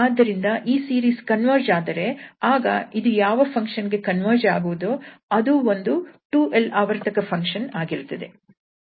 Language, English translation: Kannada, So, if this series converges then that function to whom this is converging that will be a 2l periodic function